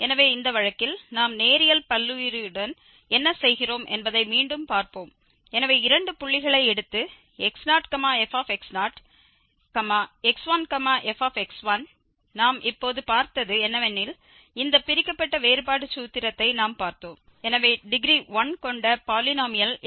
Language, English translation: Tamil, So, in this case again, we will go back to the what we are doing with the linear polynomial for instance, so, taking two points, x naught f x naught and x 1 f x 1, what we have just seen, we have seen this divided difference formula, so, the polynomial of degree 1 was f x naught and this first order is divided difference and then we have x minus x naught